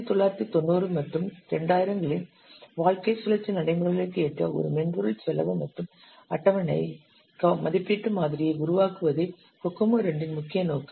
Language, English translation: Tamil, The main objective of Kokomo 2 is to develop a software cost and schedule estimation model which is tuned to the lifecycle practices of 1990s and 2000s